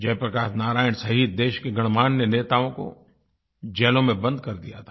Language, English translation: Hindi, Several prominent leaders including Jai Prakash Narayan had been jailed